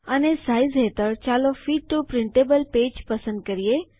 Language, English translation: Gujarati, And under Size, lets select Fit to printable page